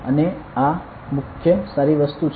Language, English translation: Gujarati, And, so this is the main thing good